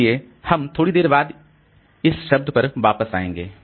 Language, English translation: Hindi, So we'll come to this term thrashing slightly later